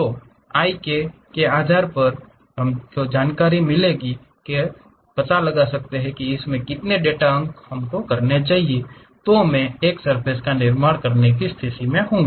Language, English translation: Hindi, And, based on my i, k kind of information how many data points I would like to have, I will be in a position to construct a surface